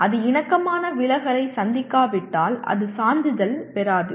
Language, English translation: Tamil, But if it does not meet the harmonic distortion it will not be certified